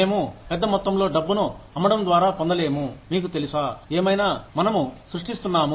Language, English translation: Telugu, We do not get a large amount of money, you know, by selling, whatever, we are creating